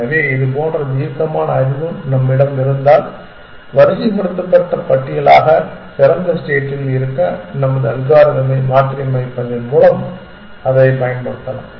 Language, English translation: Tamil, So, if we have such heuristic knowledge we can exploit it by simply modifying our algorithm to keep open as a sorted list